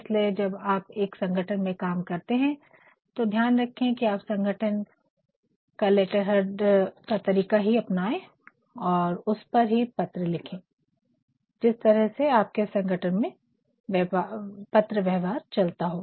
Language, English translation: Hindi, So, if you are working in an organization please see to it that you maintain the organizational letterhead and you write on it depending upon what way the correspondences flow in your organization